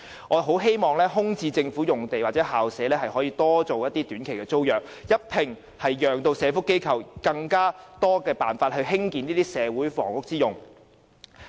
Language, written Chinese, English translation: Cantonese, 我十分希望這些空置政府用地或校舍可以短期租約形式出租，讓社福機構有更多單位可作社會房屋之用。, I eagerly hope that these vacant government sites or school premises can be rented out by way of short - term tenancy thereby increasing the supply of flats for use by welfare organizations as social housing